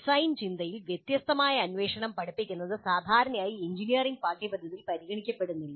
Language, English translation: Malayalam, Teaching divergent inquiry in design thinking is generally not addressed in engineering curricula